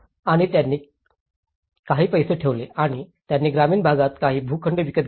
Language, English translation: Marathi, And they put some money and they bought some plots in the rural area